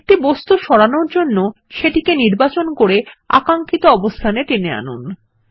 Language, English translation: Bengali, To move an object, just select it and drag it to the desired location